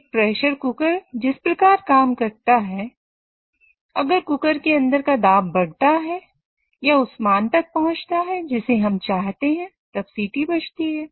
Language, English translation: Hindi, The way our pressure cooker works is if the pressure of the steam inside the cooker increases or reaches the value which we desire, then the whistle gets blown up